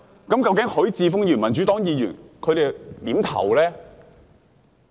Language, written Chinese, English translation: Cantonese, 究竟許智峯議員、民主黨議員他們會如何投票呢？, So how will Mr HUI Chi - fung and Members of the Democratic Party cast their votes?